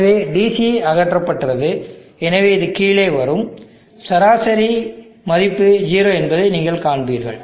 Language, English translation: Tamil, So the DC is removed, so this will come down, so you will see that the average value is 0 you will only have the ripple content